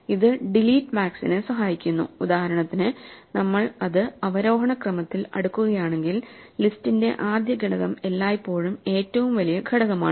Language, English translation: Malayalam, This helps to delete max, for instance, if we keep it sorted in descending order the first element of the list is always the largest element